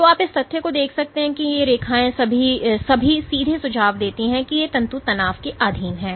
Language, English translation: Hindi, So, you can see the fact that these lines are all straight suggest that these filaments are under tension ok